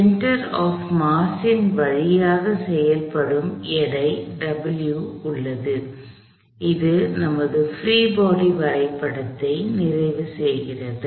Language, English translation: Tamil, There is a weight W that acts through the center of mass, this completes our free body diagram